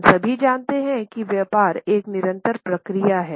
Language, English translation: Hindi, We all know that the business is a continuous process